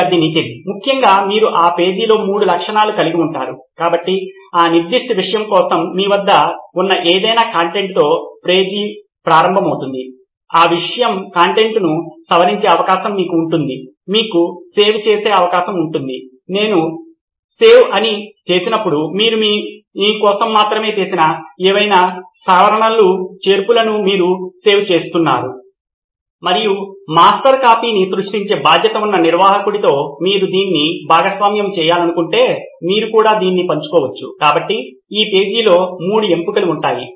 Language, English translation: Telugu, In that essentially you would have three features in that page, so the page would begin with whatever existing content you have for that particular subject, you would have the option to edit content on that subject, you would have the option to save, when I say save, you are saving whatever editing or additions that you have made only for yourself and if at all you want to share this with the administrator who would be in charge of creating the master copy you can share it as well, so there would be three options on this page